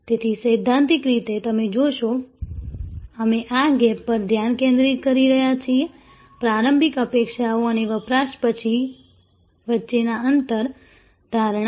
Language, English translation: Gujarati, So, conceptually you will see, we are focusing on gap, the gap between initial expectations with post consumption, perception